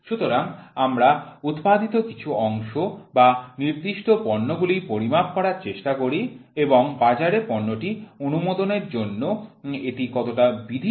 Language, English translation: Bengali, So, we try to measure certain parts or certain products which are produced and see how legal it is for allowing the product in to the market